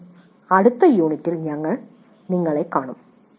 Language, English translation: Malayalam, Thank you and we will meet in the next unit